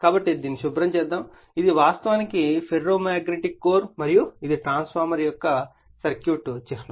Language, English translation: Telugu, So, let me clear it so, this is actually ferromagnetic core and this is your the your circuit symbol of a transformer